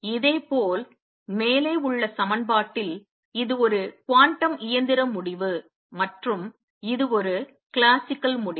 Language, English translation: Tamil, Similarly in the equation above, this is a quantum mechanical result and this is a classical result